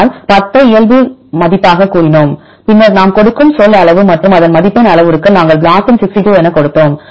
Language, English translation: Tamil, But we said 10 as a default value then word size we give and its scoring parameters also we finalized we gave as BLOSUM 62